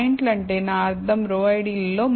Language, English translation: Telugu, By points, I mean in the row IDs